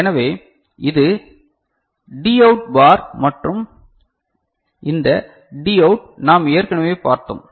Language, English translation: Tamil, So, this is D out bar and this D out which we have already seen